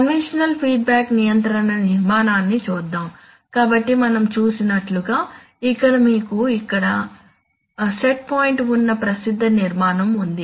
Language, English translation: Telugu, So let us look at the conventional feedback control structure that we have studied all the time, now here we have this this is the set point, I am sorry